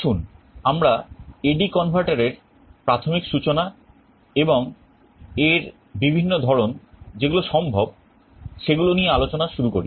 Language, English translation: Bengali, Let us start with the basic introduction to A/D converter and the various types that are possible